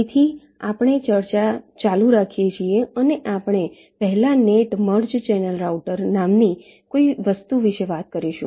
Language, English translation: Gujarati, so we continue our discussion and we shall first talk about something called net merge channel router